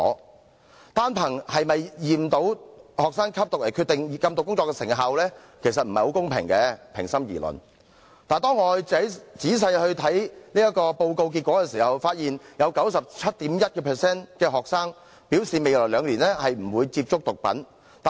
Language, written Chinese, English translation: Cantonese, 平心而論，單憑是否驗到學生吸毒來決定禁毒工作的成效其實不太公平，但當我仔細閱讀報告結果的時候，卻發現有 97.1% 的學生表示未來兩年不會接觸毒品。, In all fairness it is not at all fair to pass judgment on the effectiveness of anti - drug work solely by the result of whether students were tested to be drug users . But when I read the report results in detail I found that 97.1 % of the students said they would not take drugs in the coming two years